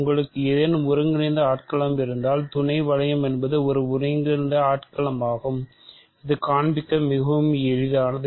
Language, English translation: Tamil, We know very well, that if you have any integral domain a sub ring is also an integral domain that is very easy to show